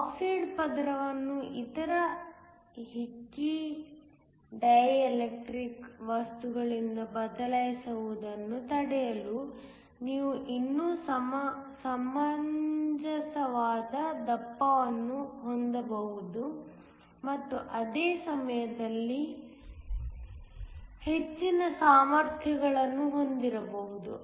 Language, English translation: Kannada, In order to prevent that the oxide layer is replaced by other hickey dielectric materials, you can still have a reasonable thickness while at the same time having a higher capacities